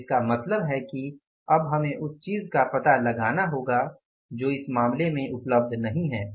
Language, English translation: Hindi, So it means now we have to find out the say the something which is not available in this case is what is not available